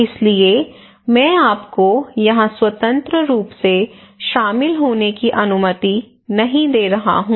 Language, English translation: Hindi, so I am not allowing you to join here freely